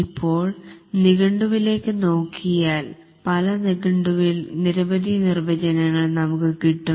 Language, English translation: Malayalam, If we look up in the dictionary, we'll find there are many definitions in different dictionaries